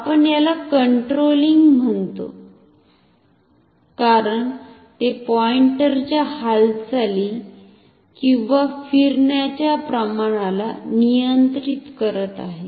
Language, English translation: Marathi, We call it controlling because it is controlling the amount of movement or rotation of the pointer